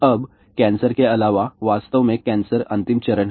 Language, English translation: Hindi, Now, besides cancer, in fact cancer is the last stage